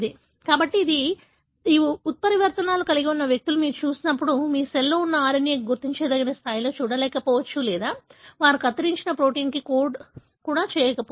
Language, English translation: Telugu, So, that is why when you look at individuals that carry these mutations, you may not really see the RNA present in the cell in a detectable level or they may not even code for the truncated protein